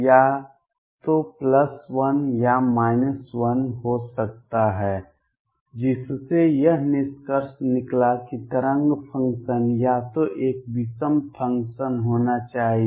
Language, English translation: Hindi, C could be either plus 1 or minus 1 that led to the conclusion that the wave function should be either an odd function